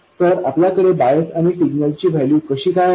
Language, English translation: Marathi, So how did we have this value of bias and this value of signal